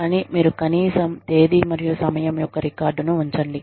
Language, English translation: Telugu, And, you at least, keep the record, of the date and time